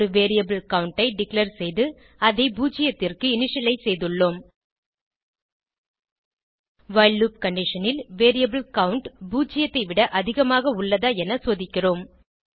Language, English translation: Tamil, We have declared a variable count and initialized it to zero In the while loop condition, we are checking if the variable count is greater than zero